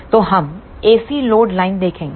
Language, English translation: Hindi, So, we will see the AC load line